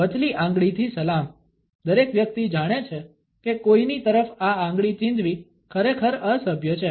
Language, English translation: Gujarati, The middle finger salute, everybody knows that pointing this finger at somebody is really rude